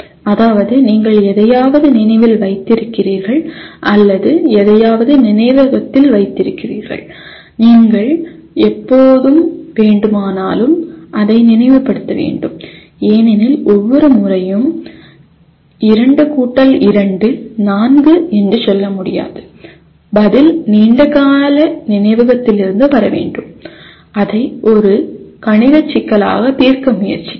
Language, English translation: Tamil, That is you have remembered something or you have put something in the memory and you are required to recall it whenever you want because you cannot each time any time say 2 * 2 = 4, the answer should come from the long term memory rather than trying to solve it as a mathematical problem